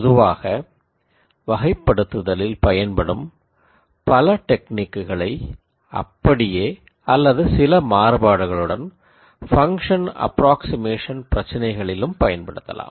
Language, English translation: Tamil, In general many of the techniques that I used in classification can also be modified or used for function approximation problems